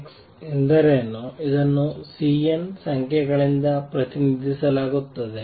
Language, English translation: Kannada, What is x this is represented by the C n numbers